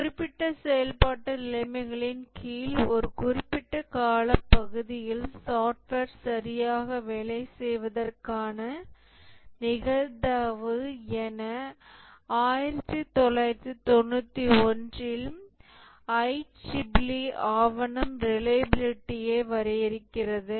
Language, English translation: Tamil, ICC document in 1991 defines reliability as the probability of software working correctly over a given period of time under specified operating conditions